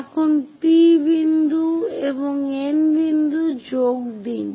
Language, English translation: Bengali, Now, join P point and N point